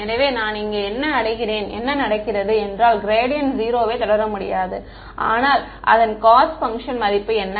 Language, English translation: Tamil, So, I reach here and what happens I cannot proceed any further the gradient is 0, but what is the value of the cost function